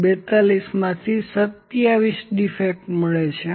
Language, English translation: Gujarati, And out of 42, they find that 27 defects are there